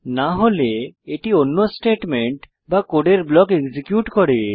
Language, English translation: Bengali, Else it executes another statement or block of code